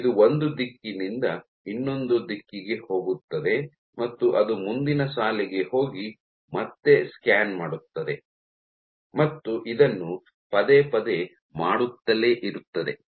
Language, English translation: Kannada, It will do along a line from one direction to the other it will go to the next line and scan back until keep doing this repeatedly